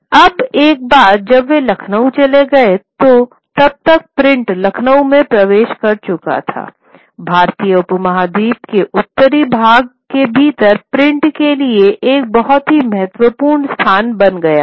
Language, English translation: Hindi, Once they move to Lucknow, you know, these by then print had entered and Lucknow becomes a very important space for print in within the northern part of the Indian subcontinent